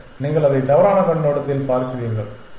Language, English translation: Tamil, No you are look at it from a wrong perspective